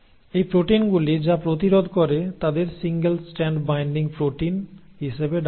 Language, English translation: Bengali, Now these proteins which prevent that are called as single strand binding proteins